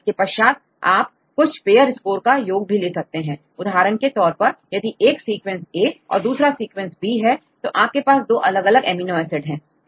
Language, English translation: Hindi, Then you can also use sum of pair score for example, if a sequence a and you can the second sequence b